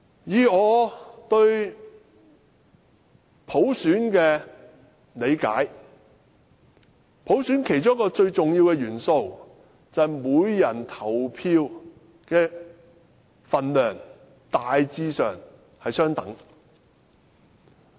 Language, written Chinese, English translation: Cantonese, 以我對普選的理解，普選其中一個最重要的元素，就是每人投票的分量大致上相等。, My understanding of universal suffrage tells me that one of the important elements of universal suffrage is that each vote carries more or less the same importance